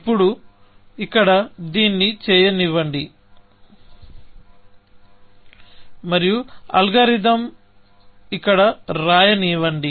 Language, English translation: Telugu, Now, let me do this here, and let me write the algorithm, here